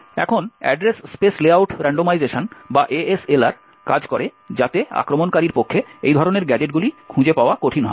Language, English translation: Bengali, Now the Address Space Layout Randomisation or the ASLR works so as to make it difficult for the attacker to find such gadgets